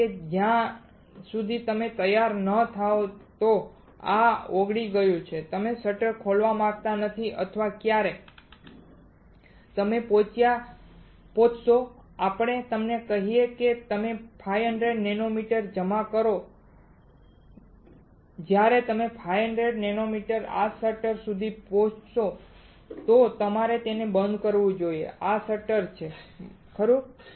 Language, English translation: Gujarati, Because until you are ready that this has been melted you do not want to open the shutter or when you reach let us say you one to deposit 500 nanometer when you reach 500 nanometer this shutter you should close it this is shutter right